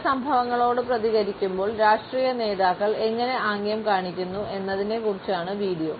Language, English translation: Malayalam, It is about how political leaders make gestures when they react to certain events